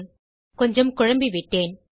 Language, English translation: Tamil, Sorry I was a bit confused there